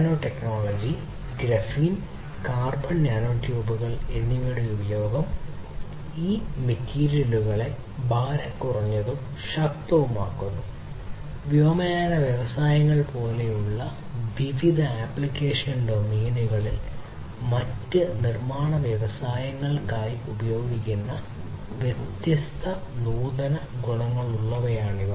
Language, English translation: Malayalam, Use of nanotechnology, Graphene, carbon, nanotubes these are also making these materials lighter, stronger having different advanced properties for being used in different application domains such as aviation industries, for different other manufacturing industries and so on